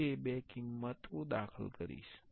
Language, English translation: Gujarati, I will enter those two values